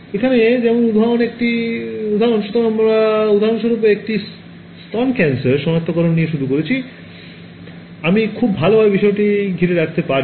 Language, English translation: Bengali, An example where like here; so, we started with example 1 breast cancer detection, I could surround the object very good